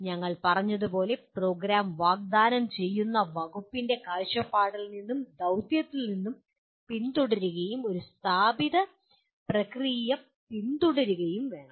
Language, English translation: Malayalam, And as we said must follow from the vision and mission of the department offering the program and follow an established process